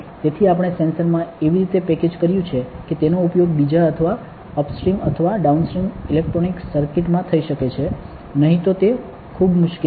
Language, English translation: Gujarati, So, we have packaged in the sensor in a way that it can be used into another further or upstream or downstream electronic circuit, otherwise it is very difficult